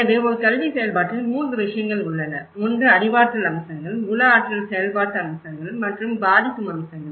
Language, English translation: Tamil, So, in an education process, there are 3 things; one is the cognitive aspects and the psychomotor aspects and the affective aspects